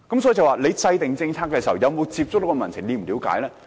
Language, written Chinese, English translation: Cantonese, 所以政府制訂政策時，有沒有接觸民情呢？, Indeed in the policy formulation have Government officials reached out to the public?